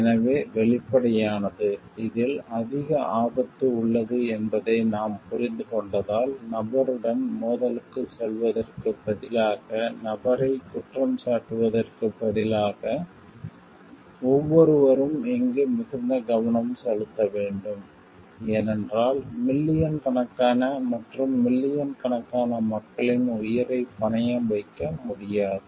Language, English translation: Tamil, So, that and transparent enough so, that if because we understand this is a high risk involved, instead of blaming of the person instead of going for conflict with the person, everyone should be very task focused over here, because we cannot risk the lives of millions and millions of people, or we cannot like compromise with the like well being in the environment